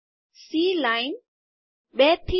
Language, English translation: Gujarati, C line 2 to 4